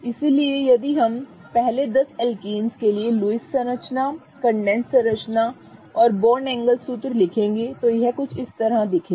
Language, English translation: Hindi, So, if we go on writing now the Lewis structure, the condensed structure and the line angle formula for the first 10 alkanes, it would look something like this